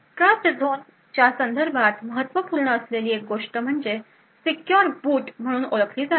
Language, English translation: Marathi, One thing that is critical with respect to a Trustzone is something known as secure boot